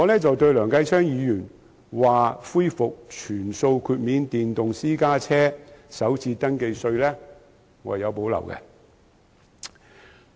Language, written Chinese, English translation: Cantonese, 對於梁繼昌議員建議恢復全數豁免電動私家車首次登記稅，我有所保留。, I have reservation about Mr Kenneth LEUNGs proposal to restore the full waiver of first registration tax for electric private cars